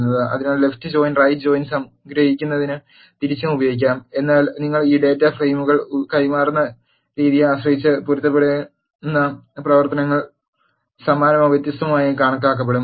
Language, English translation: Malayalam, So, to summarize left join and right join can be used vice versa, but depending upon the way you pass this data frames, the matching operations will either look similar or different